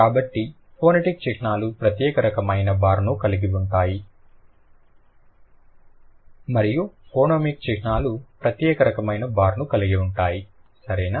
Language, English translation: Telugu, So, phonetic symbols will have a separate kind of bar and phenemic symbols will have a separate kind of a bar